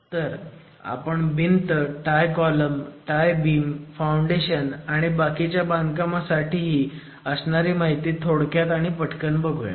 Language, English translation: Marathi, So, we will quickly go over construction details for walls, tie columns and tie beams and foundations and other aspects